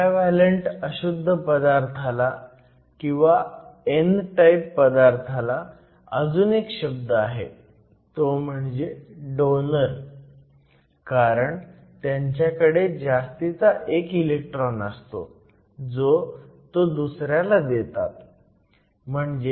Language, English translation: Marathi, Another name for a pentavalent impurity or an n type impurity is called donors and these are called donors because they have 1 extra electron which they donate